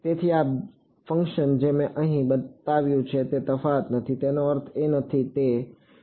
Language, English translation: Gujarati, So, this function that I have shown here is not difference is not I mean it is